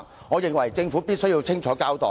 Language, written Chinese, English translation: Cantonese, 我認為政府必須清楚交代。, The Government must give a clear account